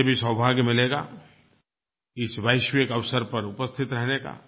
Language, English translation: Hindi, I will also get the fortune to be present on this global event